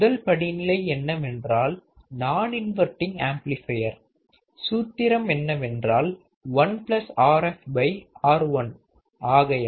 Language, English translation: Tamil, Stage one is what, non inverting amplifier, non inverting amplifier what is the formula is 1 plus Rf by R1 right